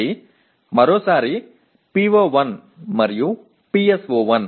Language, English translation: Telugu, Again, once again PO1 and PSO1